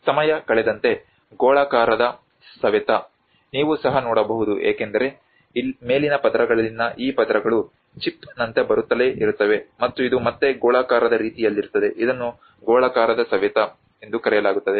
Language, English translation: Kannada, \ \ \ And you can see also as time passes on the spheroidal weathering takes place because this layers on the top layers keeps coming like a chip by chip and this is again in a spheroidal manner, this is called spheroidal weathering